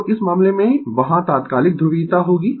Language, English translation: Hindi, So, in this case, instantaneous polarity will be there